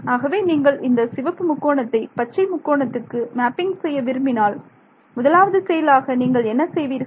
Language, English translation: Tamil, So, if I want you to map this red triangle to green triangle what is the first thing you would do